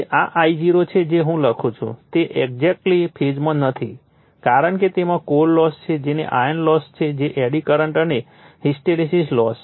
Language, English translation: Gujarati, That you are this I0 actually not exactly in phase in phase with I write because it has some core loss that is iron loss that is eddy current and hysteresis loss